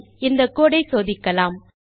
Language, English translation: Tamil, Ok, so lets check this code